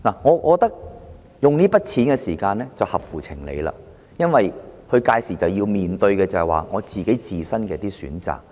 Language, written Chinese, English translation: Cantonese, 我覺得在此時動用這筆錢是合乎情理的，因為他屆時面對的是自身的選擇。, In my opinion it is reasonable to allow him to withdraw his MPF benefits at this stage because he is making an informed decision